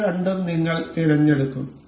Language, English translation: Malayalam, We will select these two